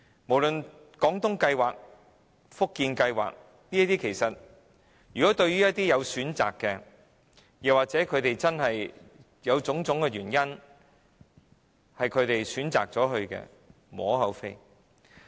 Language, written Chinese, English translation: Cantonese, 無論是"廣東計劃"、"福建計劃"，對於一些真的有種種原因而選擇前往該處居住的長者而言，是無可厚非的。, Either the Guangdong Scheme or the Fujian Scheme is fine for some elderly people who really have to choose residing there due to various reasons